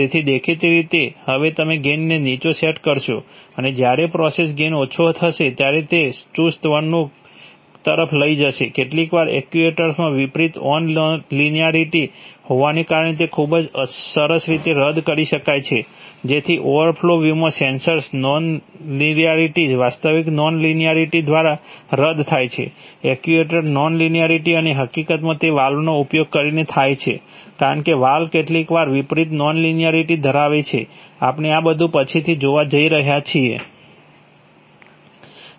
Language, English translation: Gujarati, So obviously now the, now you will set the gain low and when the process gain will become low then it will lead to sluggish behavior, sometimes this can be very nicely cancelled by having an inverse on linearity in the actuator, so that, in the overall loop the sensor non linearity gets cancelled by the actual non linearity, actuator non linearity and in fact it happens by using valves because valves have inverse non linearity sometimes, we are going to see all these later